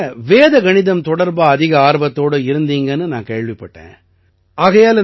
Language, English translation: Tamil, I have heard that you are very interested in Vedic Maths; you do a lot